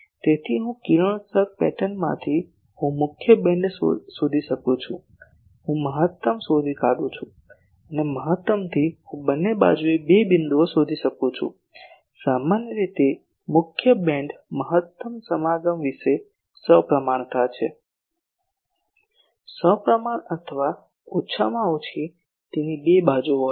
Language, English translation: Gujarati, So, I can from the radiation pattern I can find the main beam, I locate the maximum and from maximum I locate the two points in the two sides usually the main beam is symmetric about the maximum mating; symmetric or at least it has two sides